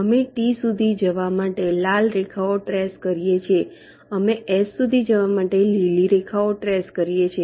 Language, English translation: Gujarati, we can trace the red lines to go up to t, we can trace the green lines to go up to s